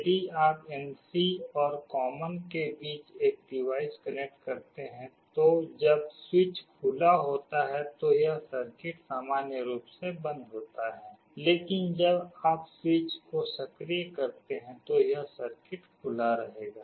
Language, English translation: Hindi, If you connect a device between NC and common, then when the switch is open this circuit is normally closed, but when you activate the switch this circuit will be open